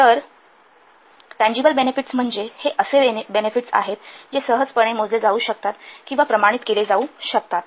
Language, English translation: Marathi, So tangible benefits means these are the benefits which can be easily measured or quantified